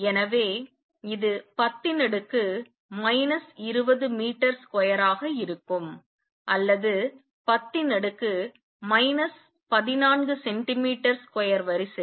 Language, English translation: Tamil, So, this comes out be 10 raise to be minus 20 meter square or of the order of 10 raise to minus 14 centimeter square